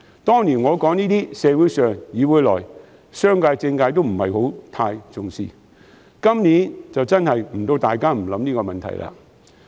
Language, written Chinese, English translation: Cantonese, 當年我說這些，社會上、議會內，商界和政界均不太重視；到了今年，大家都不得不想這個問題了。, When I made such a remark back then people from the community the legislature as well as the business and political sectors did not take the issue too seriously . This year every one of us should think about it